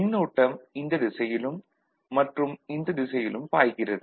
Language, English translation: Tamil, Current is going in this direction, current is going in this direction right